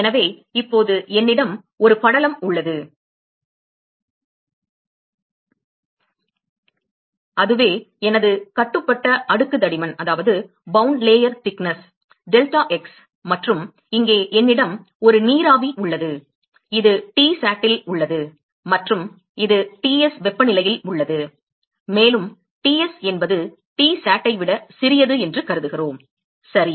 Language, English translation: Tamil, So, now, I have a film here and that is my bound layer thickness, deltax and I have a vapor here, which is at Tsat and this at a temperature Ts and we assume that Ts is smaller than Tsat ok